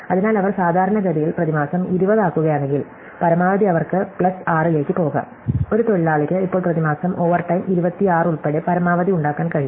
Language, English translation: Malayalam, So, if they make 20 per month normally, then at most they can go plus 6, a single worker can make at most now including overtime 26 per month